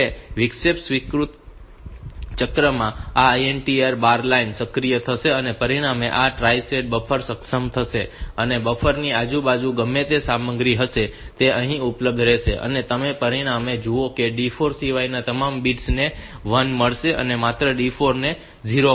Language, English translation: Gujarati, Now, in the interrupt acknowledge cycle this INTA bar line will be activated as a result this tri state buffers will get enabled and the whatever, whatever be the content on this side of the buffer they will be available here